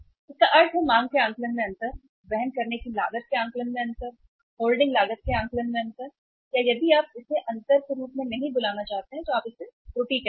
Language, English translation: Hindi, It means the difference in estimation of demand, difference in estimation of the carrying cost, difference in the estimation of the holding cost or if you do not want to call it as a difference you call it as error